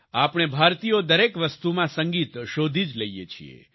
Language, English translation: Gujarati, We Indians find music in everything